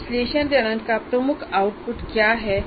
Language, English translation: Hindi, So what is the key output of analysis phase